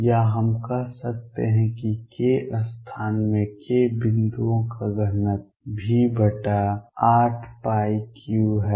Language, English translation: Hindi, Or we can say the density of k points in k space is v over 8 pi cubed